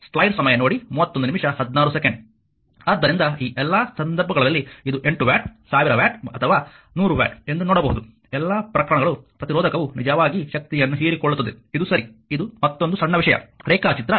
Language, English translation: Kannada, So, in this so, all this cases, you can see it is 8 watt thousand watt or 100 watt all the cases resistor actually absorbing power, right this is, this is another small thing that figure 2